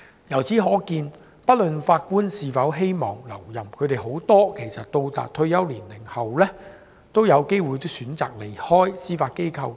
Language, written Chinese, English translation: Cantonese, 由此可見，不論法官是否希望留任，他們很多到達退休年齡後，都有機會選擇離開司法機構。, From this we can see that regardless of whether the Judges themselves want to remain in office many of them choose to leave the Judiciary when they reach the retirement age